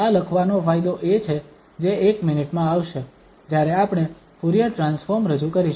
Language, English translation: Gujarati, What is the benefit of writing this is that will come in a minute when we introduce the Fourier transform